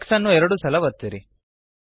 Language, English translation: Kannada, Press X twice